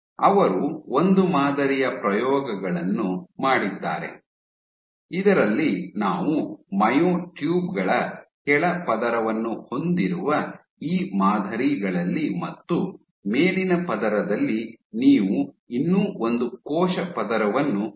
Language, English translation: Kannada, They also did one set of experiments in which on these patterns which we have a bottom layer of cells you have a bottom layer of myotubes and on top layer you put one more cell layer you have a top layer